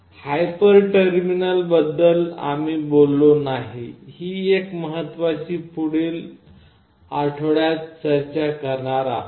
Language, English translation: Marathi, One important thing we have not talked about hyper terminal that we will be discussing in the next week